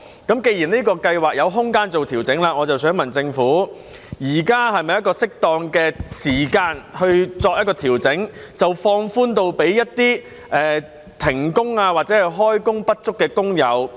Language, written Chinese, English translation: Cantonese, 既然這項計劃有調整的空間，我想問政府，現在是否適當的時間調整，把計劃放寬至涵蓋一些停工或開工不足的工友？, Since there is room for adjustments to PLGS may I ask the Government whether this is the right time to make adjustments to relax the eligibility criteria so as to cover workers who have been suspended from work or are underemployed?